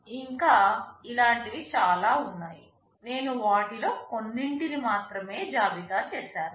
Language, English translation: Telugu, And there can be many more such things, I have only listed a few of them